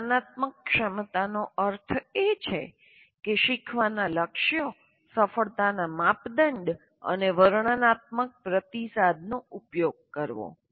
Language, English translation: Gujarati, Metacognitive ability means using learning goals, success criteria, and descriptive feedback